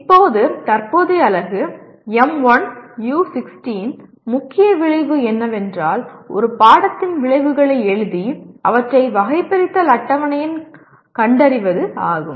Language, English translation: Tamil, Now the present unit, M1U16, the main outcome is write outcomes of a course and locate them in the taxonomy table